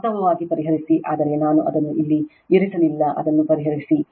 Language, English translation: Kannada, Actually solve, but I did not put it here you solve it